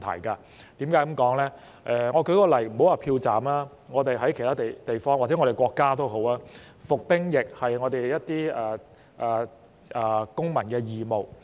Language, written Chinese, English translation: Cantonese, 我舉一個例子，且不說票站，在其他地方或在我們國家，服兵役是公民義務。, Let me give you an example . Leaving the issue of polling stations aside in other places or in our country military service is a civic duty